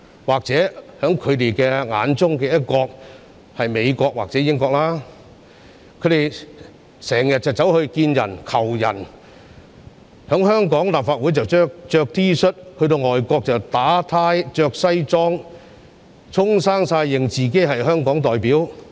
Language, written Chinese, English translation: Cantonese, 或許他們眼中的"一國"是美國或英國，他們經常到外國提出請求，在香港立法會穿 T 恤，在外國卻打領帶穿西裝，自稱是香港代表。, Perhaps the one country in their eyes is the United States or the United Kingdom . They often go to foreign countries to make their requests . They wear T - shirts in the Hong Kong Legislative Council but in the foreign countries they dressed up in suits and ties claiming to be representatives of Hong Kong